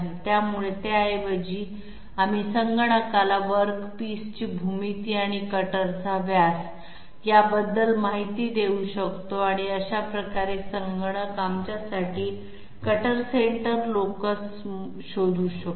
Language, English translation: Marathi, So instead of that we can intimate to the computer about the geometry of the work piece and the cutter diameter and that way the computer can find out for us the cutter locus cutter centre locus